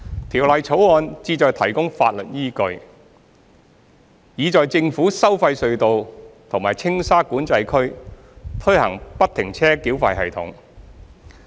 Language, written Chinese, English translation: Cantonese, 《條例草案》旨在提供法律依據，以在政府收費隧道及青沙管制區推行不停車繳費系統。, The Bill seeks to provide for the legal backing for the implementation of FFTS at government tolled tunnels and Tsing Sha Control Area TSCA